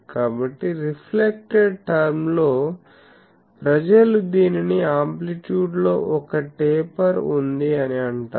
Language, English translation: Telugu, So, this in reflected term people call it there is a taper in the amplitude, if we have these